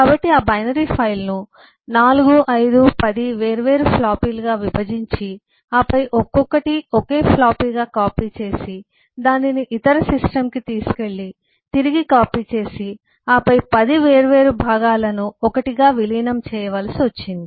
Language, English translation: Telugu, so what we needed is to divide that binary file into 4510 different floppies, then copy each one into a single floppy, take that to the other system, copy back and then match that 10 different parts together into 1